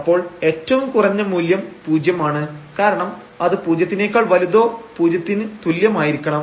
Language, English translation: Malayalam, So, the minimum value will be a 0, because it has to be greater than equal to 0